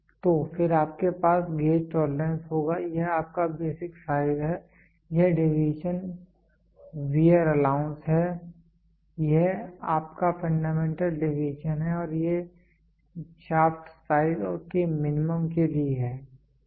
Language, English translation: Hindi, So, then you will have corresponding gauge tolerance this is your basic size, this deviation is the wear allowance this is your fundamental deviation and this is for minimum of shaft size, ok